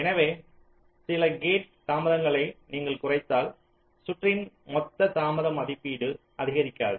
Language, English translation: Tamil, so if you reduce some of the gate delays, your total delay estimate of the circuit should not increase